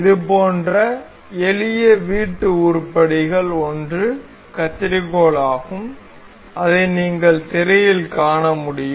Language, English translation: Tamil, One of such simple household item we can see is a scissor that I have that you can see on the screen is